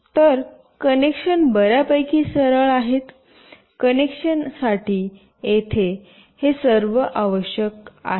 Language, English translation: Marathi, So, the connection is fairly straightforward, this is all required here for the connection